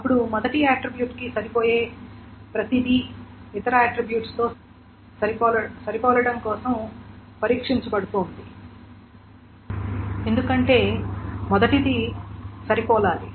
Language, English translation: Telugu, Then everything that matches the first attribute, it is being tested for matching on the other attributes